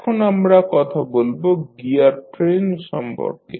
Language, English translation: Bengali, Now, let us talk about the gear train